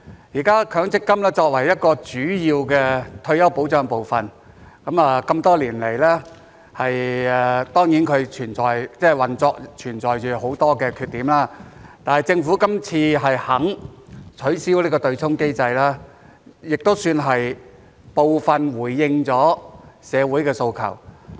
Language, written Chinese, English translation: Cantonese, 現時強積金作為一個主要退休保障部分，這麼多年來當然其運作存在着很多缺點，但是政府今次肯取消這個"對沖"機制，也算是部分回應了社會的訴求。, Having been a key component of retirement protection for so many years MPF is certainly riddled with shortcomings in its operation now but the Governments current willingness to abolish this offsetting mechanism can somehow be considered a partial response to the aspirations of society